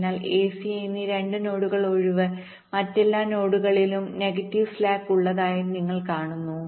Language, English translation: Malayalam, then two nodes, a and c, all the other nodes are having negative slacks